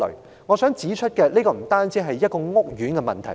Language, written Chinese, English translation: Cantonese, 主席，我想指出這不單是一個屋苑的問題。, President I wish to point out that this problem is not unique to the said estate